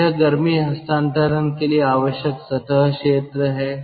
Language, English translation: Hindi, so this is the surface area needed for heat transfer